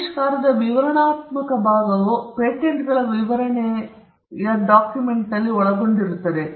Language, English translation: Kannada, The descriptive part of the invention is contained in a document what we call the patents specification